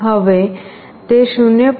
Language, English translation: Gujarati, Now, it is coming to 0